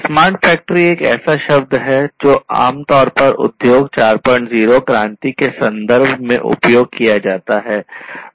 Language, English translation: Hindi, And smart factory is a term that is used commonly in the context of Industry 4